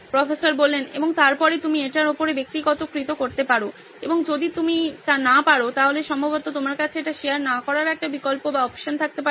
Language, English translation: Bengali, And then you can personalize on top of it and not, if you, you can probably have one option of not sharing it also